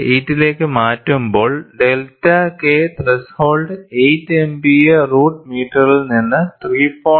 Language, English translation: Malayalam, 8, the delta K threshold changes from 8 Mpa root meter to 3